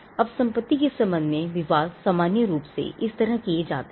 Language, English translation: Hindi, Now disputes with regard to property is normally settled in this way